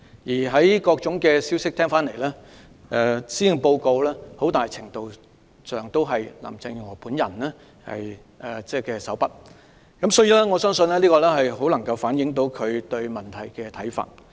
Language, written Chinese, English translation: Cantonese, 根據各方消息，施政報告在很大程度上出自林鄭月娥手筆，因此我相信施政報告極能反映她對問題的看法。, According to various sources this Policy Address is largely the brainchild of Carrie LAM . I thus believe that this Policy Address can reflect her views on many issues especially those on education